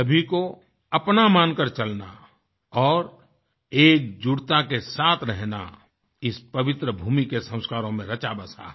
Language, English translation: Hindi, Considering everyone as its own and living with the spirit of togetherness is embedded in the ethos of this holy land